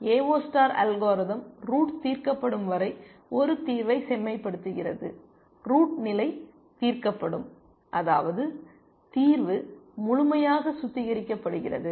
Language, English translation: Tamil, The AO star algorithm keeps refining a solution till the root gets solved, root gets level solved, which means that the solution is completely refined